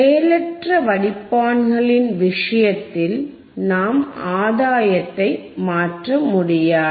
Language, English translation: Tamil, Iin case of passive filters, we cannot change the gain we cannot change the gain